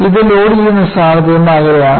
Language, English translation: Malayalam, This is away from the point of loading